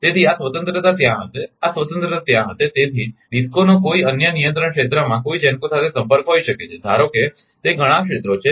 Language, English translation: Gujarati, So, this freedom will be there this freedom will be there that is why a DISCO may have a contact with a GENCO in another control area that is a suppose it is a many areas